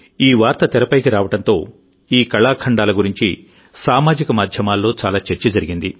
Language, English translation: Telugu, After this news came to the fore, there was a lot of discussion on social media about these artefacts